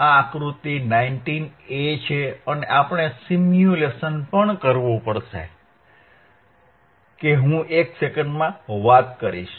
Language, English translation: Gujarati, This is figure 19 a right aand the wwe have also have to perform a simulation, that I will talk it talk in a second